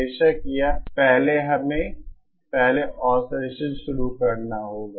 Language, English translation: Hindi, Of course, here first we have to first start oscillation